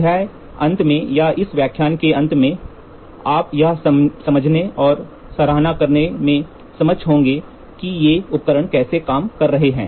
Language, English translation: Hindi, At the end of the chapter or end of this lecture you will be able to understand and appreciate how are these instruments working